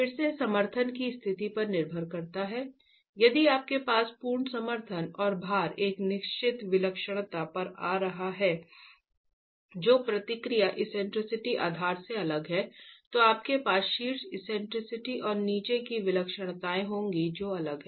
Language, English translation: Hindi, If you have full support and loads coming at a certain eccentricity different from what the reaction eccentricities are at the base, you will have top eccentricity and bottom eccentricities that are different